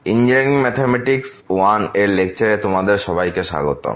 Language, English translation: Bengali, Welcome to the lectures on Engineering Mathematics I